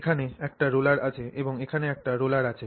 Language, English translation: Bengali, So, you have a roller here and you have a roller here